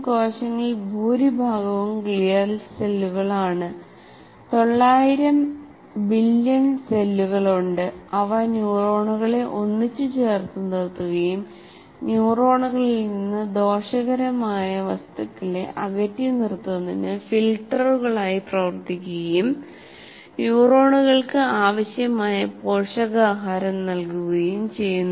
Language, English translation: Malayalam, And most of the cells are glial cells, that is, 900 billion cells, they hold the neurons together and act as filters to keep and harmful substances out of the neurons and provide the required nutrition to the neurons as well